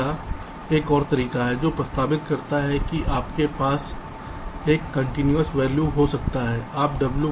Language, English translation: Hindi, or there is another method which propose that you can have a continuous value